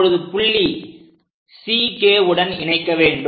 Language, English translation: Tamil, Now join C and point K